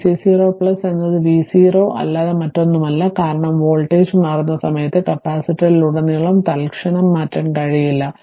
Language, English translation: Malayalam, So, v c 0 plus is nothing but the v c 0 minus, because at the time of switching the voltage cannot be change instantaneously across the capacitor right